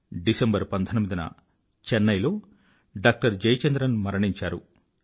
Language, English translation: Telugu, Jayachandran passed away in Chennai